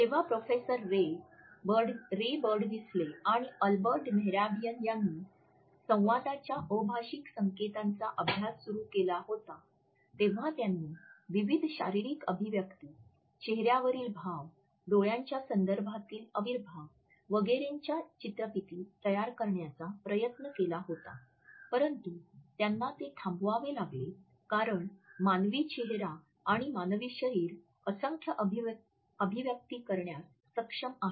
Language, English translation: Marathi, When Professor Ray Birdwhistell and Albert Mehrabian, had started the codified studies of nonverbal aspects of communication they had tried to prepare video footage of different physical expressions, of facial expressions, of eye contexts, of kinesic behavior etcetera, but they have to stop it because human face and human body is capable of literally in numerous number of expressions